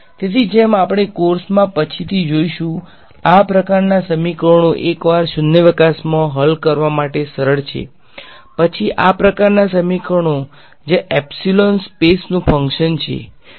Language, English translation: Gujarati, So, as we will see later on in the course, these kinds of equations the once in vacuum are simpler to solve then these kinds of equations where epsilon is the function of space